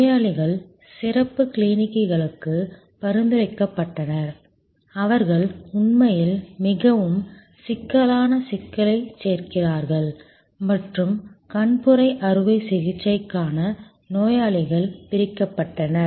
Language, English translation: Tamil, Patients were referred to specialty clinics, who add actually more critical problem and patients for cataract surgery were segregated